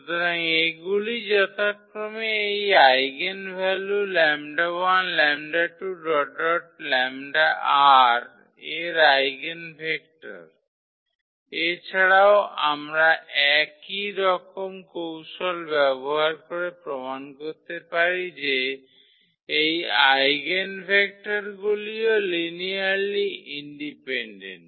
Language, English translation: Bengali, So, these are the eigenvectors corresponding to these eigenvalues lambda 1 lambda, 2 lambda respectively and in that case also we can use the similar trick to prove that these eigenvectors are linearly independent